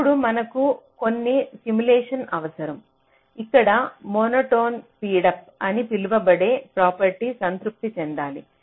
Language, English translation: Telugu, now we need some simulation where some property called monotone speedup should be satisfied